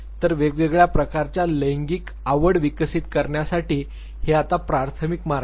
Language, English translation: Marathi, These are now the primary routes for developing different type of sexual orientations